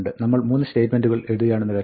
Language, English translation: Malayalam, Supposing, we write these 3 statements